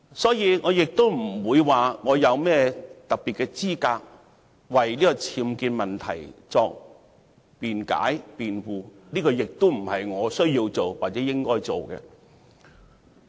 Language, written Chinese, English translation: Cantonese, 所以，我並沒有甚麼特別的資格為鄭若驊女士的僭建問題作辯解或辯護，這亦不是我需要做或應該做的事。, So I am not particularly qualified to make excuses for or argue in defence of Ms Teresa CHENG with respect to her unauthorized building works UBWs problem and this is not something I need to do or should do